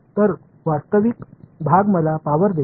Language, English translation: Marathi, So, the real part is going to give me the power